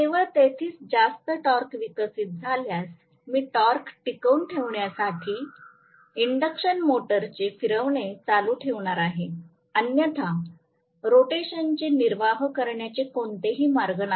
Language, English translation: Marathi, Only if there is more torque developed, I am going to sustain the rotation of the induction motor by meeting the torque demand, otherwise there is no way the sustenance of the rotation will not take place